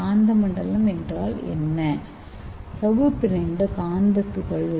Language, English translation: Tamil, So the magnetosome means it is a membrane bound magnetic particles